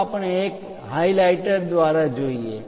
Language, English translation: Gujarati, Let us look a through highlighter